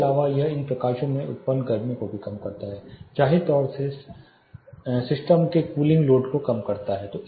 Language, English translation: Hindi, Apart from this it also reduces the heat generated from these lightings, apparently reducing the cooling load of the system